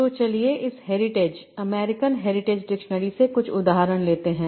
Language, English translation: Hindi, So let's take some examples from this American Hydritage Dictionary